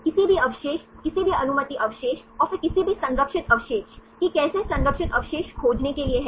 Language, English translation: Hindi, Any residue, any allowed residues and then any conserved residues, that is how to find the conserved residue